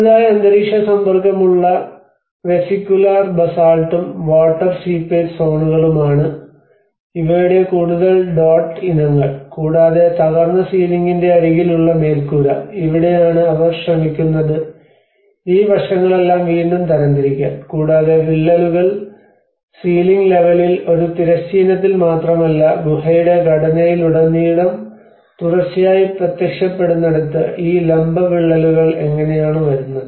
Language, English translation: Malayalam, \ \ \ One is the slightly weathered vesicular basalt and also water seepage zones which are more of this dotted aspects of it and where the edge of the broken ceiling you know the roof, and this is where they try to again classify all these aspects and also where the cracks are also appearing continuously not only in a horizontal in the ceiling level but throughout the cave structure, how this vertical cracks are also coming up